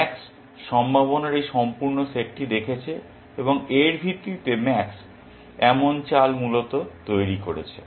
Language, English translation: Bengali, Max has looked at this entire set of possibilities, and on the basis of this has made the move that max has made essentially